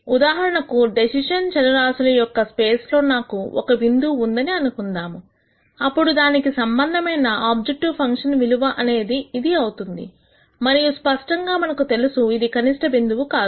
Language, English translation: Telugu, So, for example, if let us say I have a point here on the space of the decision variables then the corresponding objective function value is this and clearly we know that that is not the minimum point